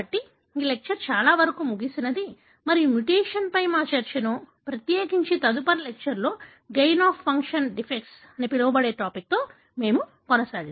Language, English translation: Telugu, So, that pretty much brings an end to this lecture and we will be continuing our discussion on the mutation, especially on the so called gain of function defects in the next lecture